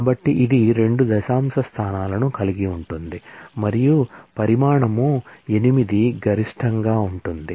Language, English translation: Telugu, So, it can have 2 decimal places and be of size 8 maximum